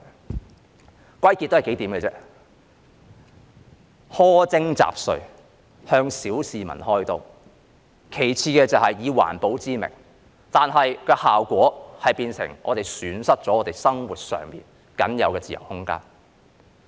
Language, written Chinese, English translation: Cantonese, 這可歸納為幾點：苛徵雜稅，向小市民開刀，其次就是以環保為名，但效果卻變成我們損失了生活上僅有的自由空間。, This can be summarized into several points It is a harsh tax an attempt to fleece the public and a measure proposed in the name of environmental protection but the effect is that we will lose the only free space that we have in our lives